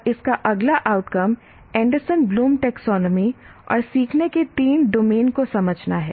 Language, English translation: Hindi, And next outcome of this is understand the Anderson Bloom taxonomy and the three domains of learning